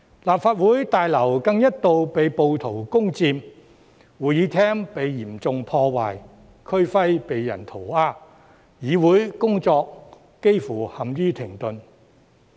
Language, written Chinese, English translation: Cantonese, 立法會大樓更一度被暴徒攻佔，會議廳被嚴重破壞，區徽被人塗鴉，議會工作幾乎陷於停頓。, What was worse the Legislative Council Complex was once stormed by rioters . The Chamber was vandalized; the regional emblem was defaced with graffiti; and the work of the legislature almost came to a complete halt